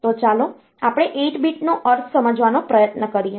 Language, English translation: Gujarati, So, let us try to understand the meaning 8 bit means